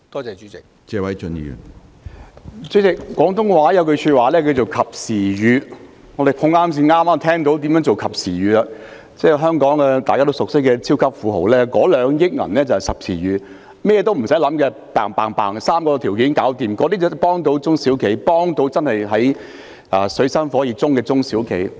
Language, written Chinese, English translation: Cantonese, 主席，廣東話有一句話是"及時雨"，我們剛巧碰到何謂及時雨的例子，就是所有香港人也熟悉的超級富豪宣布撥出2億元，不用很複雜，只要符合3個條件便可以申領，這些措施才能夠真正幫助處於水深火熱的中小企。, President there is a Cantonese phrase called timely rain and we happen to have an example showing what timely rain means . And that is a super tycoon whom all Hong Kong people know well announced that he would fork out 200 million for SMEs and that all SMEs could apply without going through complicated procedures as long as they satisfied three conditions . This measure can genuinely help SMEs in deep water now